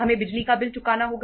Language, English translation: Hindi, We have to pay the electricity bill